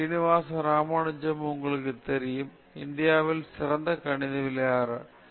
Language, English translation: Tamil, Srinivasa Ramanujam FRS, you know, one of the India’s great mathematicians